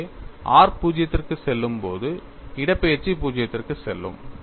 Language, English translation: Tamil, So, when r goes to 0, displacement goes to 0